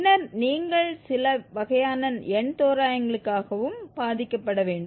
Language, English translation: Tamil, Then you have to also suffer for some kind of numerical approximations whatever